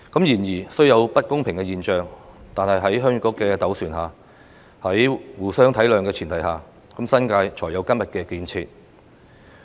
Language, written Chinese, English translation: Cantonese, 然而，雖有不公平的現象，但在鄉議局的斡旋和互相體諒的前提下，新界才有今天的建設。, Notwithstanding these unfair treatments it is through the mediation efforts of the Heung Yee Kuk and on the basis of mutual understanding that the New Territories has achieved what it is today